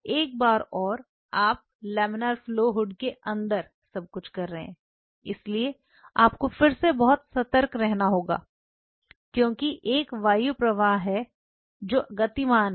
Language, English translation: Hindi, Once and you are doing everything inside the laminar flow hood so, you have to be again very cautious because there is an air current which is moving be very careful be very careful